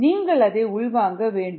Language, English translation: Tamil, you need to internalize that